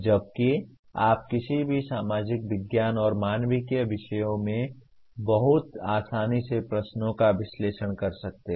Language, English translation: Hindi, Whereas you can ask analyze questions in any social science and humanities subjects very easily